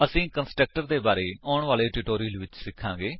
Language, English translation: Punjabi, We will learn about constructor in the coming tutorials